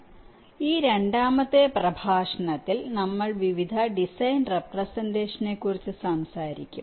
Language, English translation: Malayalam, so in this second lecture, the module, we shall be talking about various design representations